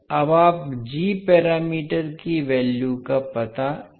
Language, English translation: Hindi, Now, how you will find out the values of g parameters